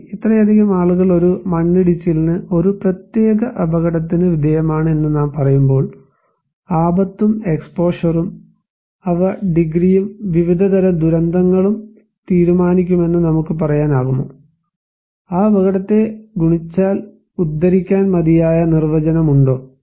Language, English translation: Malayalam, I mean when we say that okay this much of people are exposed to a landslide, a particular hazard, can we say that hazard and exposure, they will decide the degree and the type of disasters, is it enough definition to quote that hazard multiplied by exposure will decide the magnitude of the disaster or the degree of disaster